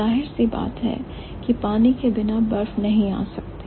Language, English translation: Hindi, So, obviously ice cannot come without water